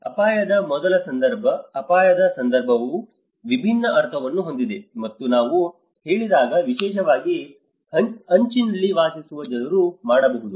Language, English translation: Kannada, Number one context of risk, when we say context of risk itself has a different meaning especially the people living on the edge